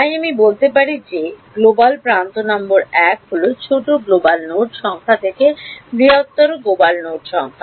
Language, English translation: Bengali, So, I can say that global edge number 1 is from smaller global node number to larger global node number